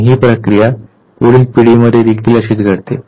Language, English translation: Marathi, And this process is repeated in the next generation as well